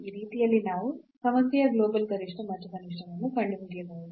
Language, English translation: Kannada, So, in this way we can find the global maximum and minimum of the problem